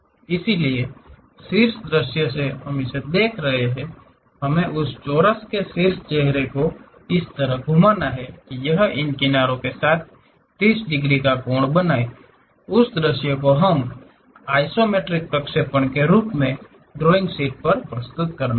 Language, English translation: Hindi, So, from top view we are looking at it, we have to rotate that square top face in such a way that it makes 30 degree angle with these edges; that view we have to present it on the drawing sheet as an isometric projection